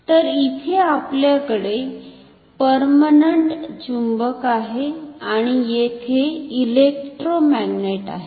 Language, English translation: Marathi, So, here we have permanent magnet and here electromagnet